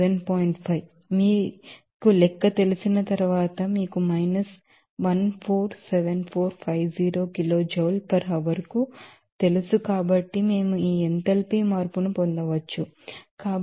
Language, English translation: Telugu, So, after you know calculation we can get this enthalpy change as you know minus 147450 kilojoule per hour